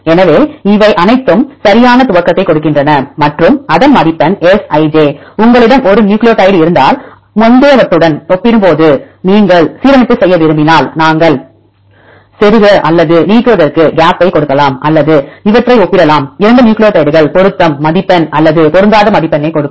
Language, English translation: Tamil, So, they give proper initialization and they give a score that is Si,j, if you have one nucleotide and if you want to make the alignment compared with the previous ones either we can give gap for insertion or for deletion or you can compare these 2 nucleotides giving the match score or mismatch score